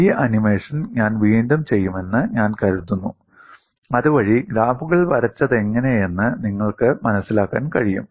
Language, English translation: Malayalam, I think I would redo this animation so that you will be able to appreciate how the graphs have been drawn